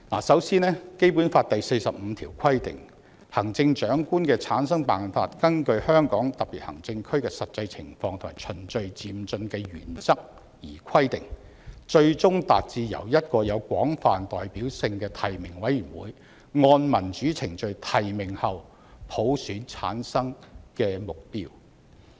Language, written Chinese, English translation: Cantonese, 首先，《基本法》第四十五條規定"行政長官的產生辦法根據香港特別行政區的實際情況和循序漸進的原則而規定，最終達至由一個有廣泛代表性的提名委員會按民主程序提名後普選產生的目標"。, First Article 45 of the Basic Law stipulates that The method for selecting the Chief Executive shall be specified in the light of the actual situation in the Hong Kong Special Administrative Region and in accordance with the principle of gradual and orderly progress . The ultimate aim is the selection of the Chief Executive by universal suffrage upon nomination by a broadly representative nominating committee in accordance with democratic procedures